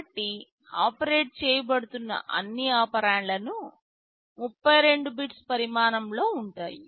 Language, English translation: Telugu, So, all operands that are being operated on are 32 bits in size